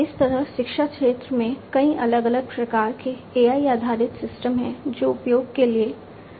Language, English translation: Hindi, Like this, there are many different types of AI based systems in education sector that are available for use